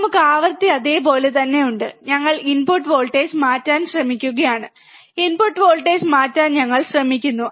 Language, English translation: Malayalam, We have cap the frequency as it is, and we have we are trying to change the input voltage, we are trying to change the input voltage